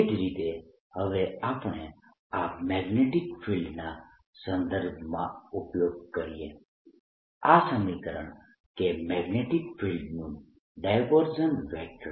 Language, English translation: Gujarati, similarly now we use in the context of magnetic field this equation that the divergence of magnetic field is always zero